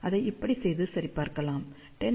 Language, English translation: Tamil, And that can be done this way that, you can just check 10 log of 251 is equal to 24 dB